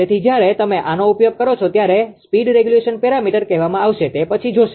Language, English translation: Gujarati, So, while you use this is actually called speed regulation parameter later will see